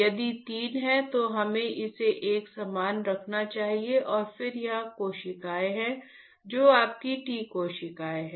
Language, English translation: Hindi, If there are three we should keep it uniform and then there are cells here which are your T cells, T cells T cells